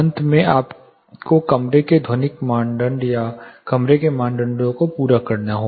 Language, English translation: Hindi, Finally, you will have to meet the room acoustic criteria; other the room criteria